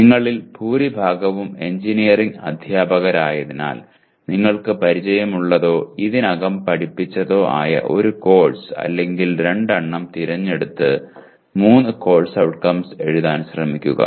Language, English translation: Malayalam, As majority of you are engineering teachers, you pick the a course or two you are familiar with or taught already and try to write three course outcomes as such